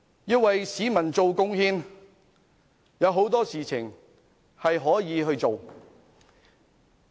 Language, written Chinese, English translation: Cantonese, 要為市民作出貢獻，可以做的事情有很多。, There is much to do to make contribution for members of the public